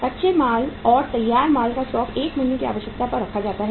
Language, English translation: Hindi, Stock of raw material and finished goods are kept at 1 month’s requirement